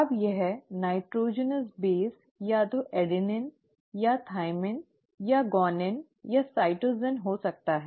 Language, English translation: Hindi, Now this nitrogenous base could be either an adenine or a thymine or a guanine or a cytosine